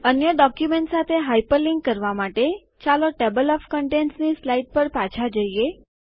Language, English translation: Gujarati, To hyperlink to another document, lets go back to the Table of Contents slide